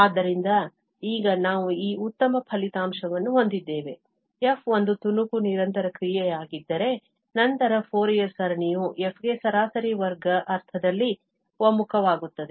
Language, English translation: Kannada, So, now, we have this nice result that if f be a piecewise continuous function, then the Fourier series of f converges to f in the mean square sense